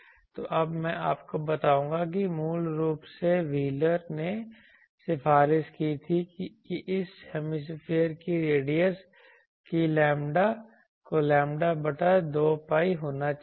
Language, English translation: Hindi, So, I will now tell you that originally wheeler recommended that the radius of this hemisphere that should be lambda by 2 pi